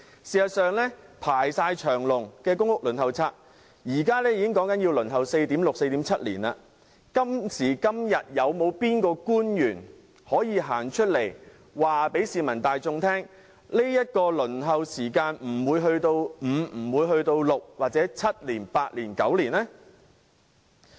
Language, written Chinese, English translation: Cantonese, 事實上，公屋輪候冊已"排長龍"，現時已要輪候 4.6 年、4.7 年才分配到公屋單位，有哪位官員可以公開告訴市民，輪候時間不會延長至5年、6年、7年、8年或9年？, As a matter of fact the Waiting List for Public Rental Housing is already so long that applicants have to wait 4.6 to 4.7 years for flat allocation . Which official can tell the people that the waiting time will not be extended to five six seven eight or even nine years?